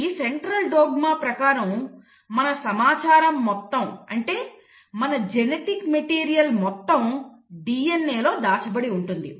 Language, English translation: Telugu, Now Central dogma, what it says is that most of our information is stored in DNA, our genetic material